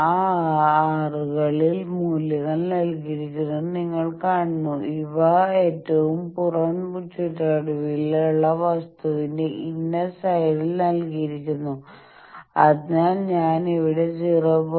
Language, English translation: Malayalam, So, you see that on those R's the values are given, these are given at the inner side of the outer most periphery thing so there I am locating 0